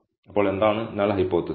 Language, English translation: Malayalam, So, what is the null hypothesis